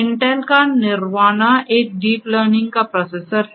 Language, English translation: Hindi, Intel’s Nervana is a deep learning processor